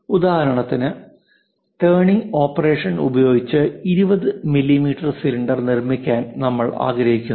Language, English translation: Malayalam, For example, I would like to make a turning operation where a cylinder of 20 mm I would like to make